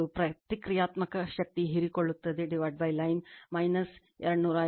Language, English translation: Kannada, And reactive power absorbed by line is minus 278